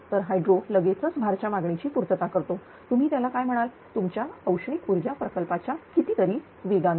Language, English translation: Marathi, So, hydro can quickly meet the load demand much faster than your your what you call the thermal power plant